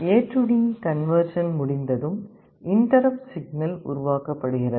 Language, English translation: Tamil, After A/D conversion is completed an interrupt signal is generated